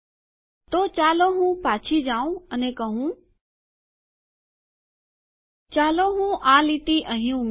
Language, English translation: Gujarati, So let me just go back and say let me add this line here